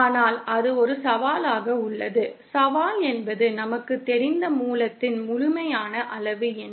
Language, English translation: Tamil, But that poses a challenge, the challenge being that what is the absolute quantity at the source that we know